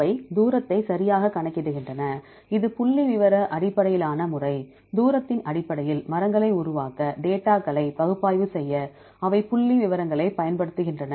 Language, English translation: Tamil, They calculate the distance right, it is a statistically based method; they use statistics to analyze the data to construct the trees based on the distance